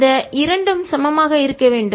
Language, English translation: Tamil, and these two should be equal